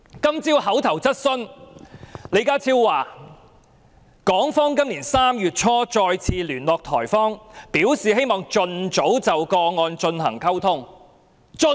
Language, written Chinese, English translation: Cantonese, 今天的口頭質詢環節中，李家超表示港方今年3月初也再次聯絡台方，表示希望盡早就案件進行溝通。, That is the biggest bird that the Secretary and the SAR Government have in mind . In the oral question session today John LEE said that in early March this year Hong Kong conveyed again the intention to commence early liaison with Taiwan on the case